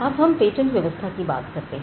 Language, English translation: Hindi, So, this is the national patent regime